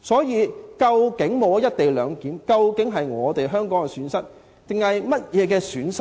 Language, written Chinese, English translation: Cantonese, 因此，沒有"一地兩檢"，究竟是香港的損失還是誰的損失？, Hence will it be a loss to Hong Kong or some places else if the co - location arrangement is not adopted?